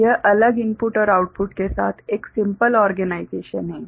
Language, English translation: Hindi, So, this is one a simple organization right with separate input and output